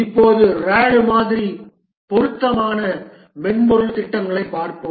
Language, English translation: Tamil, Now let's look at the software projects for which the RAD model is suitable